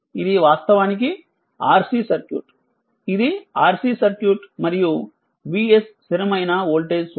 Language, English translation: Telugu, This is actually your RC circuit, this is RC circuit and V s is a constant voltage source